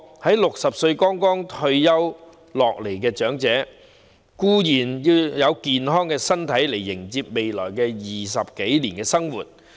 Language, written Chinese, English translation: Cantonese, 在60歲剛退下前線的長者固然要有健康身體來迎接未來20多年的新生活。, Elderly persons who have just retired from the front line at 60 years of age certainly need healthy bodies to welcome the new life in the next 20 years and more